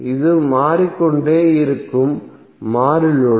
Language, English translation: Tamil, So this is the variable load it will keep on changing